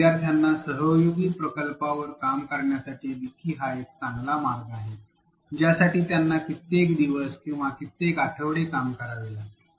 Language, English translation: Marathi, A wiki is a good way to get students to work on a collaborative project which may need several days or several weeks of work on it